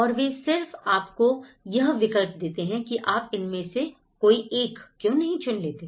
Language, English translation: Hindi, And they just give you this is options why not you take one of these